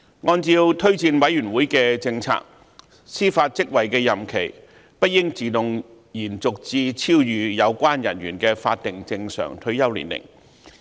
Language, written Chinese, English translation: Cantonese, 按照推薦委員會的政策，司法職位的任期不應自動延續至超逾有關人員的法定正常退休年齡。, According to the policy of JORC extension of the term of judicial office beyond the statutory normal retirement age should not be automatic